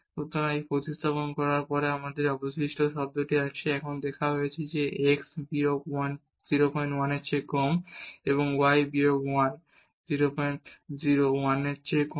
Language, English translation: Bengali, So, after substituting this we have this remainder term and now that is given that this x minus 1 is less than 0